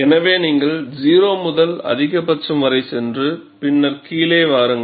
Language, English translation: Tamil, So, you go from 0 to maximum, and then come down